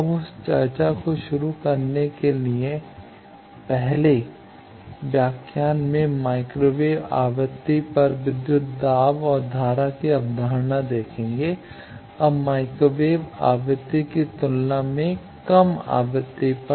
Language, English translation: Hindi, Now to kick start that discussion, the first lecture will see voltage and current concept at microwave frequency, now at lower frequency than microwave frequency